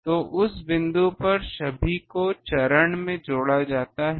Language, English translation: Hindi, So, at that point all are added in phase